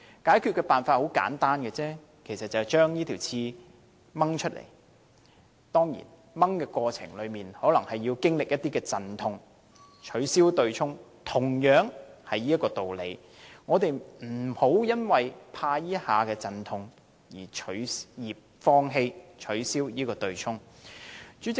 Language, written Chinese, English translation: Cantonese, 解決的辦法很簡單，就是拔出這根刺，當然，過程中可能要經歷一些陣痛。我們不應因為害怕這一下的陣痛，而放棄取消對沖機制。, The remedy is simple just pluck it out . Of course a pang of pain may ensue in the process but we should not give up abolishing the offsetting mechanism just for fear of such pain